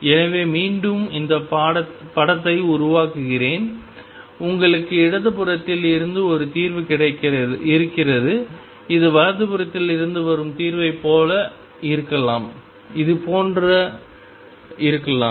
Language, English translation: Tamil, So, again let me make this picture and you have a solution coming from the left it could be like this solution coming from the right which could be like this